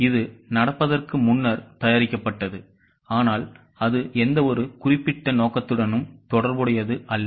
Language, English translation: Tamil, It is made prior to the happening but it is not related to any particular purpose